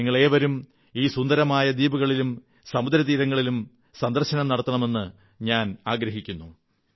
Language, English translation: Malayalam, I hope you get the opportunity to visit the picturesque islands and its pristine beaches